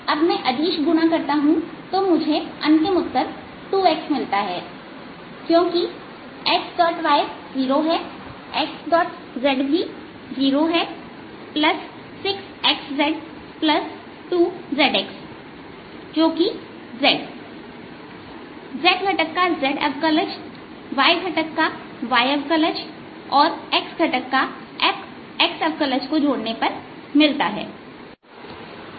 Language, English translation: Hindi, i take the dot product and the final answer that we get is two x because x dot y is zero, x dot z is zero, plus six x z plus two z x, which is effectively taking z derivative of the z component, y derivative of the y component, x derivative of x component